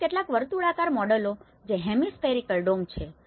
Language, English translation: Gujarati, Also, some of the circular models which is a hemispherical dome